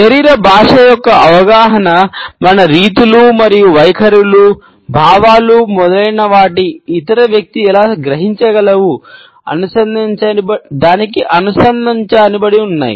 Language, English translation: Telugu, And the understanding of body language was linked as how our modes and attitudes, feelings etcetera, can be grasped by the other person and vice versa